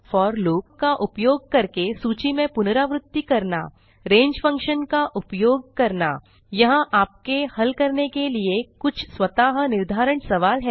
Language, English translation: Hindi, iterate over a list using for loop use the range() function Here are some self assessment questions for you to solve 1